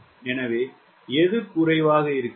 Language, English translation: Tamil, so which one is less